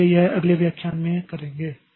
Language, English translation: Hindi, So, that we will do in the next lecture